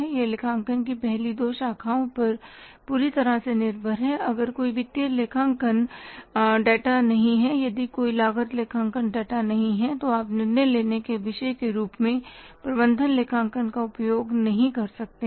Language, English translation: Hindi, If these if there is no financial accounting data, if there is no cost accounting data you can't use management accounting as a discipline of decision making